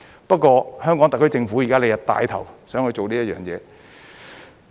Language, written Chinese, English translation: Cantonese, 不過，香港特區政府現在想帶頭做這件事。, Yet the Hong Kong SAR Government now wishes to take the lead in doing so